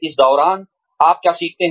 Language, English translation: Hindi, What you learn along the way